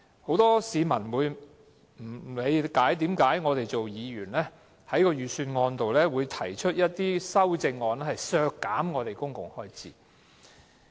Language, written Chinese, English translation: Cantonese, 很多市民不理解，為何議員在財政預算案中，提出修正案削減公共開支。, Many people do not understand why Members propose public spending cutbacks in their budgetary amendments